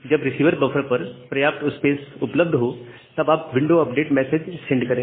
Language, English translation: Hindi, Once some sufficient space is available at the receiver buffer then only you send the window update message